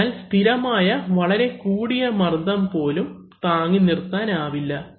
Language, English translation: Malayalam, So even steady very high pressures cannot be sustained